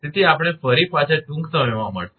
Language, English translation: Gujarati, So, we will be back soon